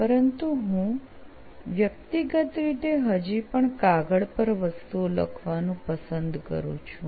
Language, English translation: Gujarati, But I personally still like to write things on paper